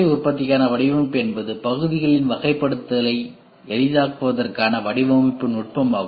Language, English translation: Tamil, Design for manufacturing is a design technique for manufacturing ease of an assortment of parts